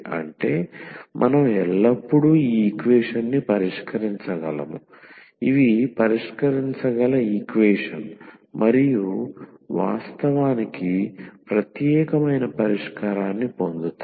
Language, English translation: Telugu, That means, that we can always solve this equation, these are solvable equation and will get the unique solution indeed